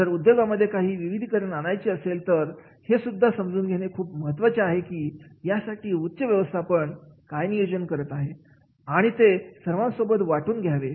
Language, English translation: Marathi, If there is a diversification of the business, then that is also to be understood what top management is planning and that has to be shared